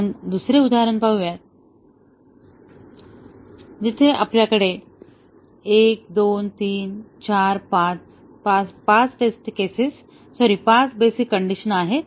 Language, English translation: Marathi, Let us look at another example, where we have 1, 2, 3, 4, 5; 5 test cases, sorry, 5 basic conditions